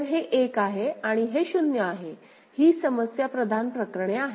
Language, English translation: Marathi, So, this is 1 and this is 0, these are the problematic cases right